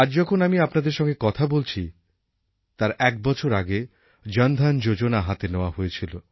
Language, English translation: Bengali, Today when I talk to you, I want to mention that around a year back the Jan Dhan Yojana was started at a large scale